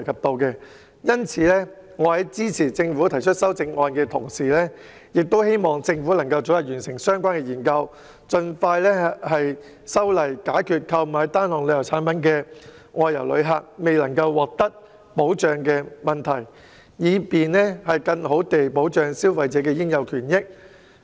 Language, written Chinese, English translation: Cantonese, 所以，我支持政府提出的修正案，亦希望政府早日完成相關研究，盡快修訂《條例草案》，以解決購買單項旅遊產品的外遊旅客未能獲得保障的問題，更好地保障消費者的應有權益。, Therefore I support the amendments proposed by the Government and I also hope that the Government will complete the relevant studies and amend the Bill as soon as possible so as to solve the problem that outbound travellers who purchased single travel products will not be protected and to provide better protection to the rights and interests of consumers